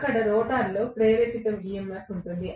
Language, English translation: Telugu, Why was there a rotor induced EMF